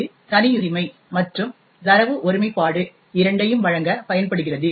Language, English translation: Tamil, It is used to provide both privacy as well as data integrity